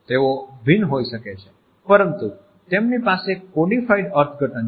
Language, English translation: Gujarati, They may be different, but they do have a codified interpretation